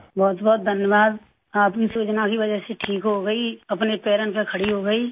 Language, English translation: Urdu, Because of your scheme, I got cured, I got back on my feet